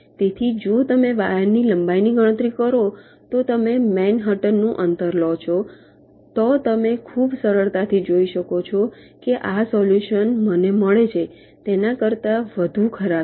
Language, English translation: Gujarati, so if you compute the wire length, if you take the manhattan distance, then you can see very easily that this solution is worse as compared to what i get here